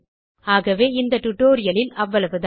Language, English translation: Tamil, So, this is all in this part of the tutorial